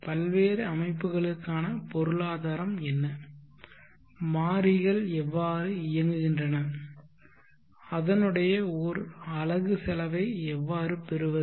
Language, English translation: Tamil, What are the economics for the various systems and how do the variables play and how do you obtain the unit cause